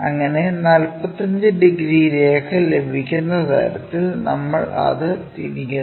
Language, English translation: Malayalam, So, we rotate it in such a way that we will get this 45 degrees line